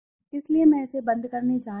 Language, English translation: Hindi, So I am going to close it